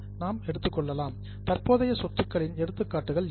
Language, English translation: Tamil, Now, what could be the examples of current assets